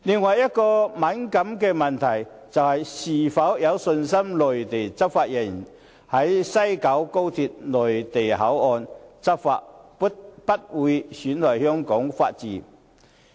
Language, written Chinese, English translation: Cantonese, 另一個敏感的問題是，"是否相信內地執法人員在西九高鐵內地口岸區執法，不會損害香港法治？, Another sensitive question is Do you believe that Mainland law enforcement personnel in the Mainland Port Area of West Kowloon Station of the Express Rail Link XRL will not undermine Hong Kongs Rule of law?